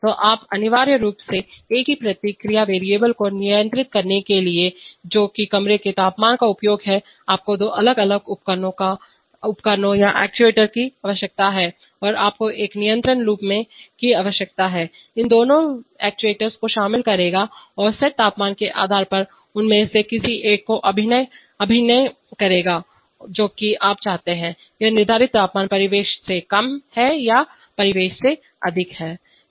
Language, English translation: Hindi, So you essentially for controlling the same process variable, that is the room temperature use, you need two different sets of equipment or actuators and you need to have a control loop which will, which will incorporate these two actuators and actuate one any one of them depending on the set temperature that you want, that is whether the set temperature is less than ambient or is it more than ambient